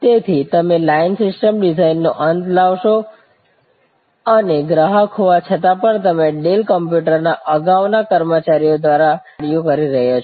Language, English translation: Gujarati, So, you become the end of line system designer and even though the customer therefore, is performing some of the functions earlier performed by employees of Dells computers, earlier computers